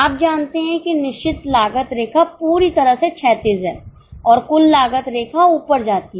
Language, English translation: Hindi, You know that fixed cost line is totally horizontal and total cost line goes up